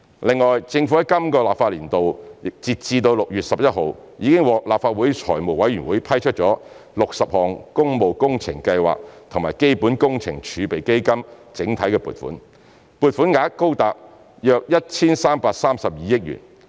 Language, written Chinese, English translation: Cantonese, 另外，政府在今個立法年度截至6月11日，已獲立法會財務委員會批出60項工務工程計劃及基本工程儲備基金整體撥款，撥款額高達約 1,332 億元。, Moreover as at 11 June the Legislative Council has approved 60 items of public works programmes and capital works reserve fund block allocations amounting to as much as 133.2 billion